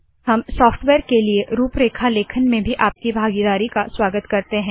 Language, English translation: Hindi, We also welcome your participation In writing the outline for the software